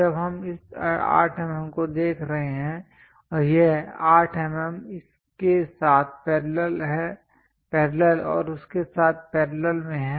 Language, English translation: Hindi, When we are looking at this 8 mm and this 8 mm are in parallel with this parallel with that